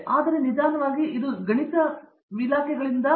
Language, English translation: Kannada, So, slowly it is dying from mathematics departments